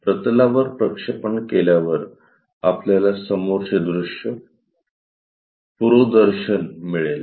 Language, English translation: Marathi, After after projection onto the planes, we will get a front view